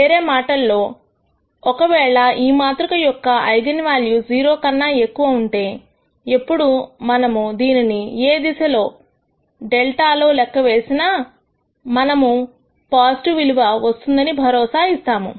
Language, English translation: Telugu, In other words if all the eigenvalues of this matrix are greater than 0, it is automatically guaranteed that whenever we compute this for any delta direction we will always get a positive quantity